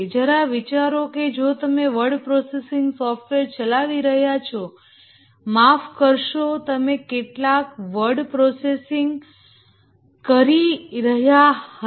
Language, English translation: Gujarati, Just imagine that if you are running a word processing software, sorry, you are doing some word processing and then you developed a hardware for word processing